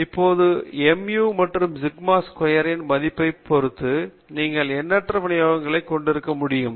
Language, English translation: Tamil, Now, depending upon the value of mu and sigma squared you can have infinite number of distributions